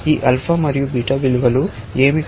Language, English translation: Telugu, What are these alpha and beta values